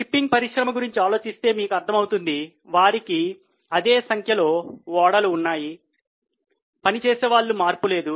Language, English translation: Telugu, If you think of shipping industry you will realize that they have same number of ships, same number of crew